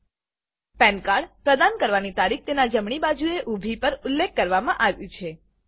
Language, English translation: Gujarati, The Date of Issue of the PAN card is mentioned at the right hand side of the PAN card